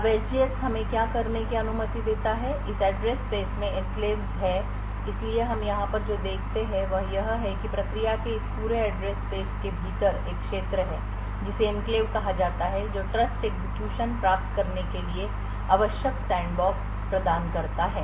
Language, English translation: Hindi, Now what SGX permits us to do is to have enclaves in this address space so what we see over here is that within this entire address space of the process there is one region which is called the enclave which provides the necessary sandbox to achieve the Trusted Execution Environment